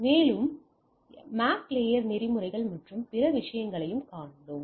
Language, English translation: Tamil, And we have also seen that MAC layer protocols and other things